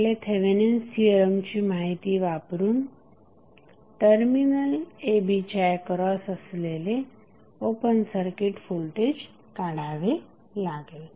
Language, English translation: Marathi, We have to utilize our the knowledge of Thevenin's theorem and we need to find out what would be the open circuit voltage across terminal a and b